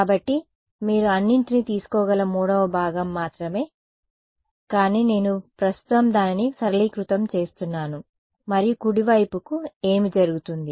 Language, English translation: Telugu, So, only 3rd component you can take all, but I am just simplifying it right now and what happens to the right hand side